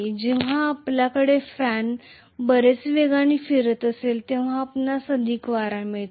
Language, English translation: Marathi, When you have the fan rotating much faster you see that more and more wind you get, right